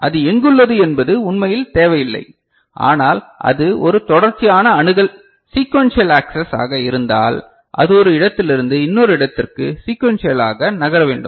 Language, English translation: Tamil, It does not really matter where it is there, but if it is a sequential access then it has to move you know, sequentially from one place to another